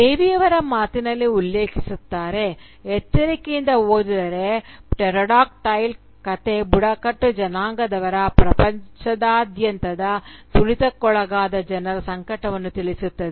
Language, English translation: Kannada, In Devi’s own words, and I quote, “If read carefully, Pterodactyl, the story, will communicate the agony of the tribals, of marginalised people all over the world